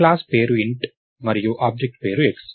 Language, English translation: Telugu, So, the class name is int and the object name is x